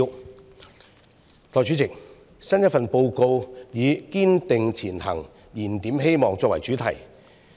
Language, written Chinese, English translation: Cantonese, 代理主席，新一份施政報告以"堅定前行燃點希望"作為主題。, Deputy President the new Policy Address has taken as its theme Striving Ahead Rekindling Hope